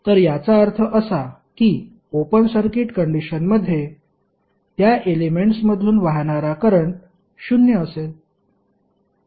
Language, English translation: Marathi, So, it means that under open circuit condition the current flowing through that element would be zero